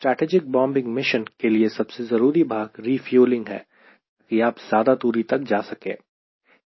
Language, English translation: Hindi, right, but for a strategy bombing mission, this is very the important part is that refueling so that you can have an extended range